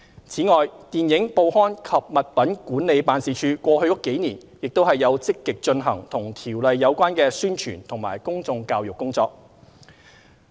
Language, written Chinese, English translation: Cantonese, 此外，電影、報刊及物品管理辦事處過去幾年也有積極進行與《條例》有關的宣傳及公眾教育工作。, Besides the Office for Film Newspaper and Article Administration has also been actively organizing publicity and public education programmes relating to COIAO over the past several years